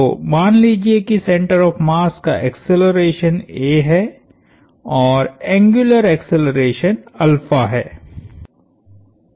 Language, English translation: Hindi, So, let say the acceleration of the mass center is a, and the angular acceleration is alpha